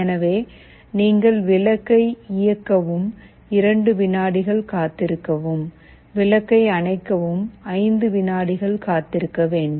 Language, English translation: Tamil, So, you turn ON the bulb, wait for 2 seconds, turn OFF the bulb, wait for 5 seconds in a repeated while loop